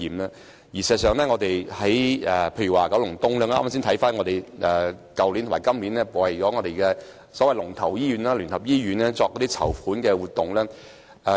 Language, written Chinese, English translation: Cantonese, 我剛剛翻看我們去年和本年為九龍東聯網的所謂龍頭醫院——基督教聯合醫院——舉辦的籌款活動。, I have just reviewed the fundraising events organized by us for the so - called leading hospital in the Kowloon East Cluster the United Christian Hospital UCH last year and this year